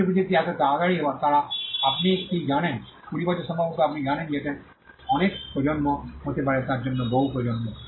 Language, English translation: Bengali, Some technologies are so quick they are you know twenty years maybe many generations for all you know it could be many generations